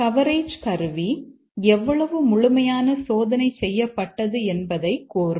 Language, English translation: Tamil, And then the coverage tool will tell how much coverage is achieved